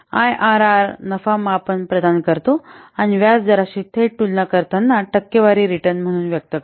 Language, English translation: Marathi, IRR provides a profitability measure as a percentage return that is directly comparable with interest rates